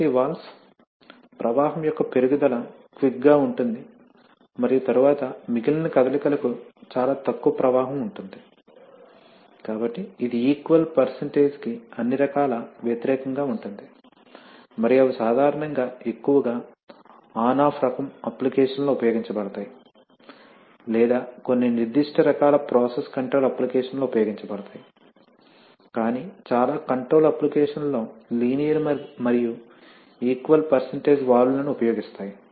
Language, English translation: Telugu, So this valves, there is a quick increase of flow and then for the rest of the movement that is very little flow, so it is all kind of opposite of the equal percentage and they are typically used more in, you know on off kind of applications or some certain special kinds of process control applications but most of the control applications use linear and equal percentage valves